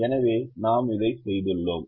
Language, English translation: Tamil, so we have done this